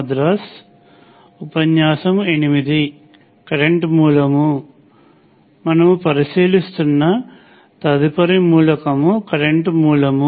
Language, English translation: Telugu, The next element we will be considering is a current source